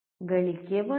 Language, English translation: Kannada, Gain is 1